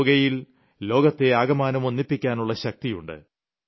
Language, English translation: Malayalam, Yoga has the power to connect the entire world